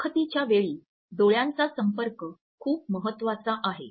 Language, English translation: Marathi, Eye contact is equally important in all the interview situations